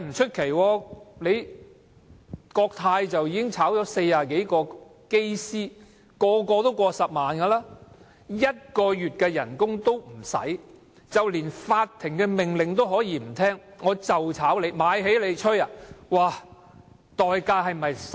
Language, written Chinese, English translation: Cantonese, 前幾年國泰解僱40多名機師，每名機師月薪都過10萬元，僱主無須用1個月的薪酬，便連法庭命令都可以不聽："我就解僱你，'買起'你，奈我何？, A few years ago Cathay Pacific Airways fired more than 40 pilots and their monthly salary was over 100,000 . Without even paying a months salary an employer can even ignore a court order I just fire you and buy you up . What can you do about it?